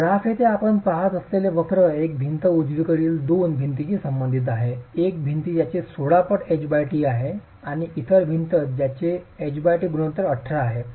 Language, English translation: Marathi, So, the curves that you see in the graph here pertain to a single wall or two walls, one wall which has a H by5t of 16 and another wall which has a H